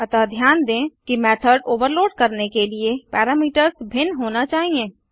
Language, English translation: Hindi, So remember that to overload method the parameters must differ